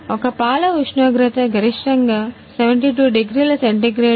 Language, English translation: Telugu, Temperature of a milk is maximum is 72 degree centigrade